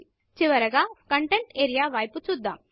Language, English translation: Telugu, Finally, lets look at the Content area